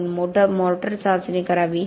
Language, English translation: Marathi, Should we be testing motor